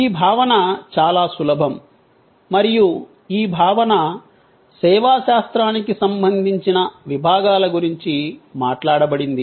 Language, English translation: Telugu, This concept is simple and this concept has been talked about from the disciplines related to service science